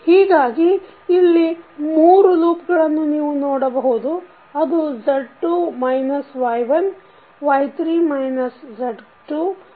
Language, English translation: Kannada, So, there will be three loops which you will see, so this is Z2 minus Y1, Y3 minus Z2 and Z4 minus Y3